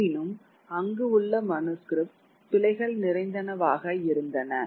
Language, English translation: Tamil, However, the manuscripts which were there were full of errors